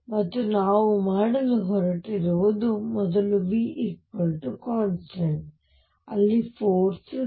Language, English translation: Kannada, And what we are going to do is first anticipate that in v equals constant case a force is 0